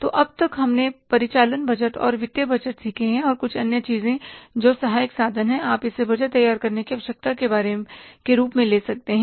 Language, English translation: Hindi, So, operating budget and financial budgets we learned till now and certain more things which are supportive means you can call it as a requirements of preparing the budgets